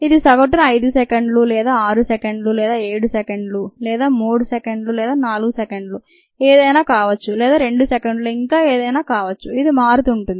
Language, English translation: Telugu, it could be six seconds, seven seconds, three seconds, four seconds, whatever it is, or even two seconds and so on